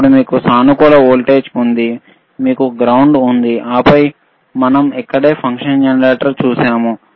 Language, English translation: Telugu, tThen you have positive voltage, you have ground, and then we have seen the function generator which is right over here, and t